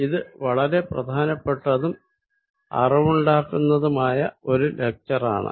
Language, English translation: Malayalam, So, this is quite an instructive and important lecture